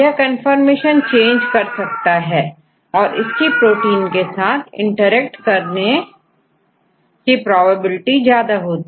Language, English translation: Hindi, So, they can change the conformation and they can have high probability to interact with the proteins